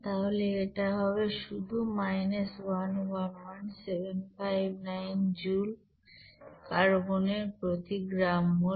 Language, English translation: Bengali, So it will be is equal to simply 111759 here joule per gram mole of that carbon, that is solid